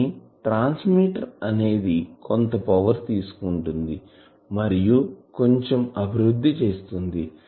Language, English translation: Telugu, , But to a transmitter it is taking some power and it is developing something